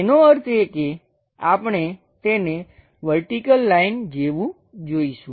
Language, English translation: Gujarati, That means, we will see it something like a vertical lines